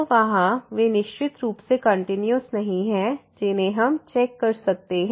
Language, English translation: Hindi, So, there they are certainly not continuous which we can check